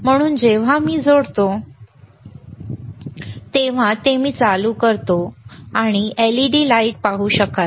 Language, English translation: Marathi, So, when I connect it, and I switch it on, you will be able to see this LED lighte light here, right this led right